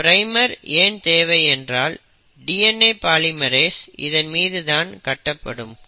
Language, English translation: Tamil, So this primer now acts as the base on which the DNA polymerase can start adding the nucleotides